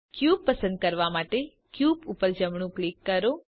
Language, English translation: Gujarati, Right click the cube to select it